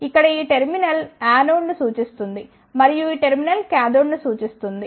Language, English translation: Telugu, Here, this terminal represents the anode and this terminal represents the cathode